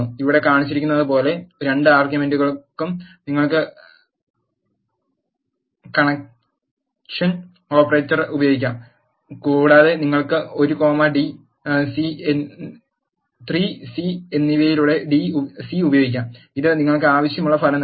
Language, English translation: Malayalam, You can use the concatenation operator also for both the arguments like shown here you can use c of 1 comma 3 and c of 1 comma 2 which gives you the desired result